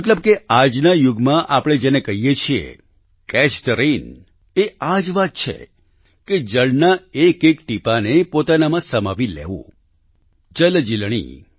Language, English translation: Gujarati, This means, it is synonymous with what we term as 'Catch the Rain' in today's times…accumulating each and every drop of water…Jaljeelani